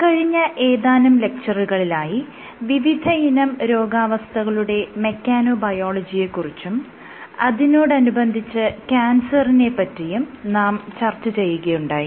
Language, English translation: Malayalam, In the last few lectures that started discussing about Mechanobiology of diseases and in that context, I had discussed Cancer